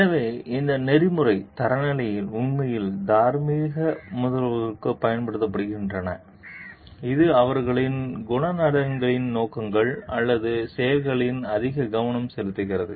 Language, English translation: Tamil, So, these ethical standards are actually applied to the moral agents like, it is more focused on their character traits motives or actions